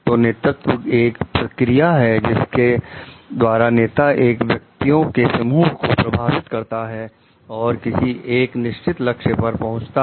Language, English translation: Hindi, So, leadership is a process by which the leader influences a group of individuals to reach a particular goal